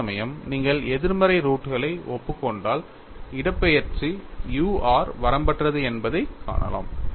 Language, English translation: Tamil, Whereas, if you admit negative roots, you find that displacement u r is unbounded, so, this has to be discarded